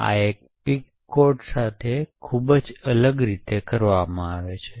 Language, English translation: Gujarati, So, this is done very differently with a pic code